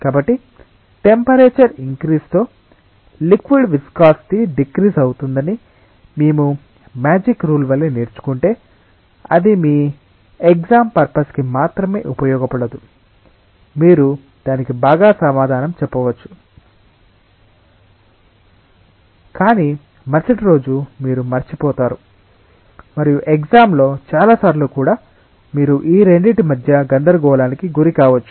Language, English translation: Telugu, So, if we just learn it like a magic rule, that viscosity of a liquid decreases with increase in temperature, it serves no purposes only in your examination you may answer it well, but the next day you forget and many times in the examination also you may confuse between these two